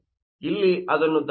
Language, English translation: Kannada, So, please correct it here